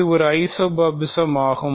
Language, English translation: Tamil, It is also an isomorphism